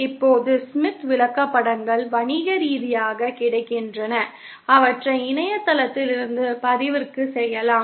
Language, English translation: Tamil, Now, the Smith charts are commercially available, they can be downloaded from the Internet